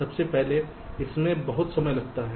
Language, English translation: Hindi, firstly, it takes lot of time